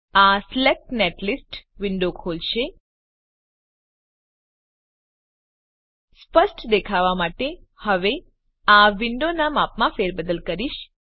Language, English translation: Gujarati, This will open Select netlist window I will now resize this window for better view